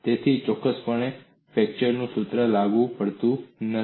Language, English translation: Gujarati, So, definitely, the flexure formula is not applicable